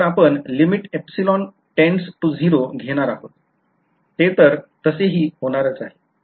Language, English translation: Marathi, So, we are going to take limit epsilon tends to 0 that is going to happen anyway ok